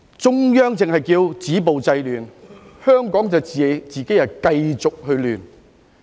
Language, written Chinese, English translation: Cantonese, 中央只是叫我們"止暴制亂"，香港卻自己繼續亂。, The Central Authorities only told us to stop violence and curb disorder yet Hong Kong just kept on with its disorder